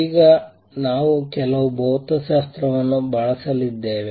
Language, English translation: Kannada, Now, we are going to use some physics